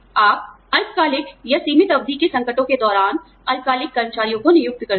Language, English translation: Hindi, You hire short term employees, during short term or limited term crises